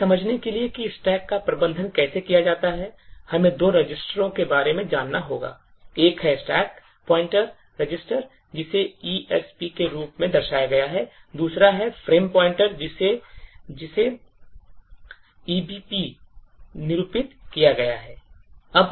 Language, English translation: Hindi, To understand how the stack is manage we would have to know about two registers, one is the stack pointer register which is denoted as ESP and the other one is the frame pointer register which is denoted EBP